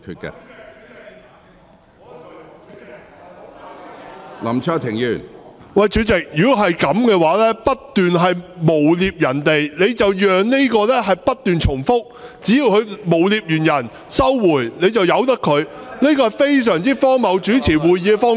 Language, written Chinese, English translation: Cantonese, 主席，如果是這樣，不斷誣衊別人，你便讓這個情況不斷重複；只要他誣衊完別人，然後收回，你便由得他。這是非常荒謬的主持會議方式。, President if you allow such defamation to be repeated against others as long as it is withdrawn afterwards this is a very ridiculous way to chair a meeting